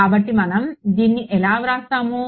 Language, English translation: Telugu, So, let us write this how